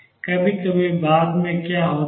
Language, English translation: Hindi, What happens sometimes later